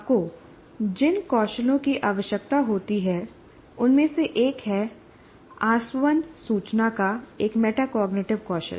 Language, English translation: Hindi, So one of the skills that you require, it's a metacognitive skill of distilling information